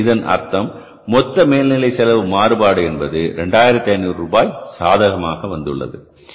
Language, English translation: Tamil, So it means total overhead cost variance has become favorable